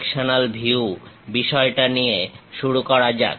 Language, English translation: Bengali, Let us begin our sectional views topic